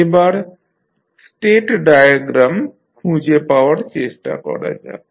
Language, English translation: Bengali, Now, let us try to find out the state equation